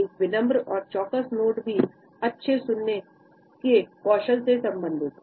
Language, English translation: Hindi, A polite and attentive nod is also related with good listening skills